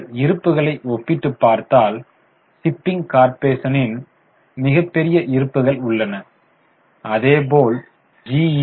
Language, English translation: Tamil, If you compare reserves, shipping corporation has huge reserves as well as G shipping has large reserves